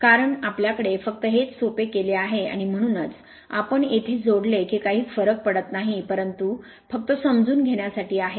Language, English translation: Marathi, Because we have just for the simplification we have made it like this and that is why we have connected here it does not matter, but just for the sake of understanding